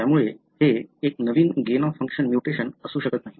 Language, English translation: Marathi, So, it cannot be a novel gain of function mutation